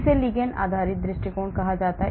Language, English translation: Hindi, this is called the ligand based approach